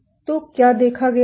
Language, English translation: Hindi, So, what has been observed